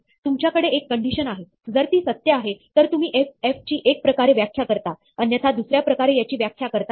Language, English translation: Marathi, You have a condition; if it is true, you define f one way; otherwise, you define f another way